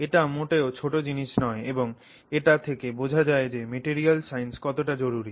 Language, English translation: Bengali, It is not a small thing and it also tells you how important material sciences